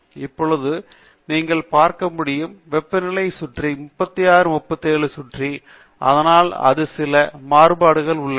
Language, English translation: Tamil, Now, as you can see, the temperature hovers around a 36 37 and so on and there is some variability to it